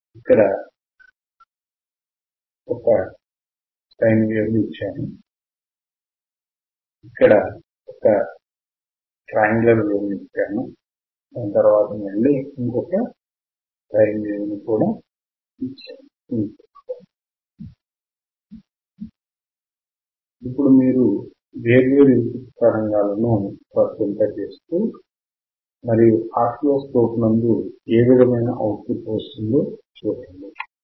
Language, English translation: Telugu, Now, if you apply different input signal and see what kind of output you can see in the oscilloscope